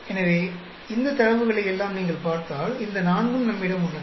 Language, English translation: Tamil, So, out of these if you look at all these data, we have these four